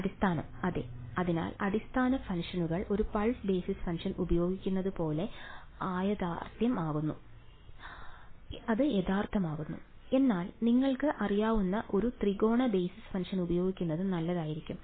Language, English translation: Malayalam, Basis yeah so basis functions may be unrealistic like using a pulse basis function may be unrealistic, but using you know a triangular basis function may be better right